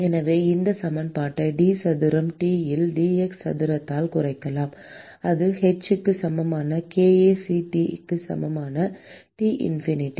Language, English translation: Tamil, And so we can simply reduce this equation at d square T by dx square that is equal to h by kAc T minus T infinity